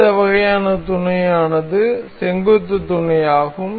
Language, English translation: Tamil, The next kind of mate is perpendicular mate